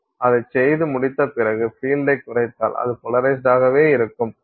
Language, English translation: Tamil, Once you have done that you drop the field, it will remain polarized